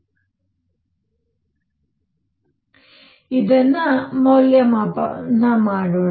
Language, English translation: Kannada, So, let us evaluate this